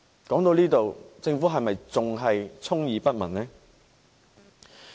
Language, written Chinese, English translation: Cantonese, 說到這裏，政府是否仍然充耳不聞呢？, When it comes to this matter is the Government still not listening?